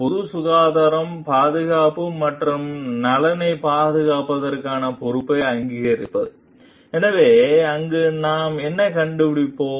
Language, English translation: Tamil, Recognition of the responsibility to safeguard the public health, safety and welfare; so, what we find over there